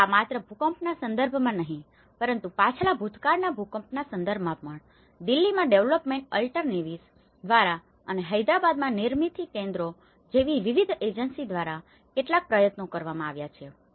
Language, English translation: Gujarati, And not only in terms of this earthquake but also the previous past earthquakes, there has been some efforts by different agencies by development alternatives in Delhi, Nirmithi Kendraís in Hyderabad